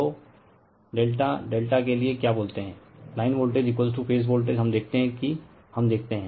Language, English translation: Hindi, So, for delta delta your what you call line voltage is equal to phase voltage we see that we see that